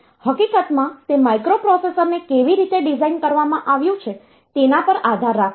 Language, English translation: Gujarati, In fact, that depends on the way the microprocessor has been designed